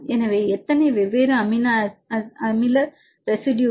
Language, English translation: Tamil, So, how many different amino acid residues